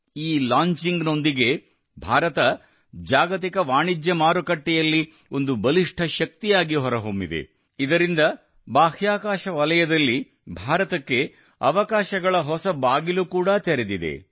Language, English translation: Kannada, With this launching, India has emerged as a strong player in the global commercial market…with this, new doors of oppurtunities have also opened up for India